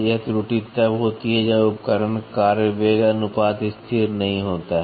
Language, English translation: Hindi, This error occurs when the tool work velocity ratio is not constant